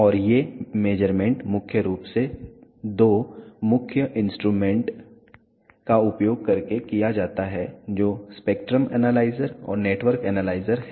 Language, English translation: Hindi, And these measurements are primarily done by using two main instruments which is spectrum analyzer and network analyzer